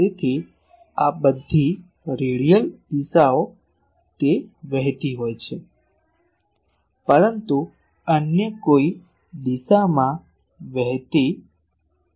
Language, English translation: Gujarati, So, all radial directions it is flowing out, but in no other direction it is flowing